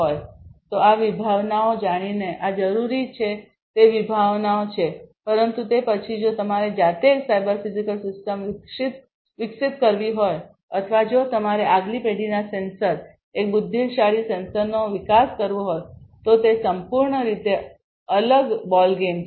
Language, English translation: Gujarati, So, these are different concepts knowing these concepts is required, but then if you have to develop a cyber physical system yourself or if you have to develop a next generation sensor, an intelligent sensor, that is a complete completely different ballgame